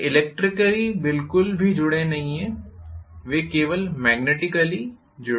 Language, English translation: Hindi, They are not electrically connected at all they are only magnetically coupled, they are not electrically connected, right